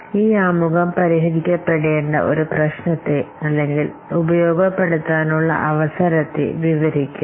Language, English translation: Malayalam, So this introduction will describe a problem to be solved or an opportunity to be exploited